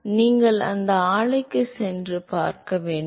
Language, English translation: Tamil, So, you should go and visit this plant